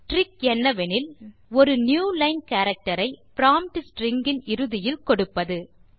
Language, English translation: Tamil, The trick is to include a newline character at the end of the prompt string